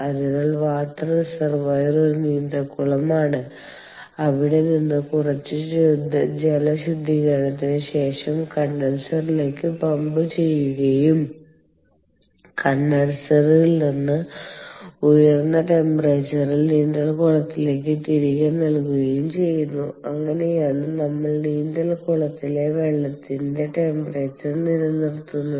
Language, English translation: Malayalam, ok, so the water reservoir is a swimming pool, from where it is pumped into the condenser after some water treatment and from the condenser it is fed back to the swimming pool at an elevated temperature, and this is how we are maintaining the, the temperature of the swimming pool water